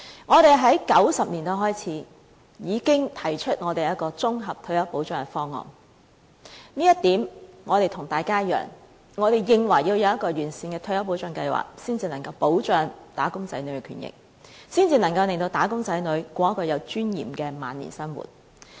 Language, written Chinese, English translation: Cantonese, 我們在1990年代開始已經提出綜合退休保障的方案，這點我們跟大家一樣，我們認為要制訂完善的退休保障計劃才能保障"打工仔女"的權益，才能令"打工仔女"度過有尊嚴的晚年生活。, We have been proposing a comprehensive retirement protection scheme since the 1990s . We hold the same view as other Members do . We also consider that a sound retirement protection scheme should be formulated to protect the rights and interests of employees so that they can spend their twilight years in a dignified manner